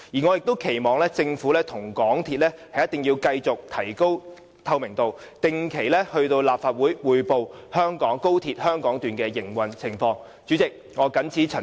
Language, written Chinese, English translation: Cantonese, 我亦期望政府和港鐵公司一定要繼續提高透明度，定期到立法會匯報高鐵香港段的營運情況。, I also expect that the Government and MTRCL will continue to increase their transparency and report on a regular basis to the Legislative Council the operation of the XRL Hong Kong Section